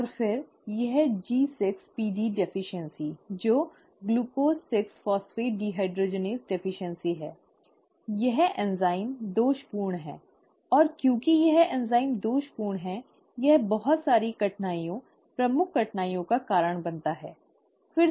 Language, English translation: Hindi, And then, this G6PD deficiency, which stands for ‘Glucose 6 Phosphate Dehydrogenase’ deficiency, this enzyme is faulty; and because this enzyme is faulty, it leads to a lot of difficulties, major difficulties, right